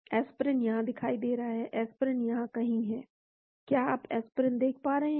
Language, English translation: Hindi, Aspirin is seen here, the aspirin is here, somewhere here, are you able to see the aspirin